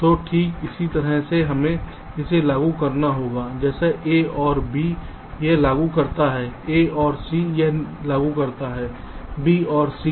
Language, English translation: Hindi, we have to implement like this: a or b, this implements a or c, this implements b or c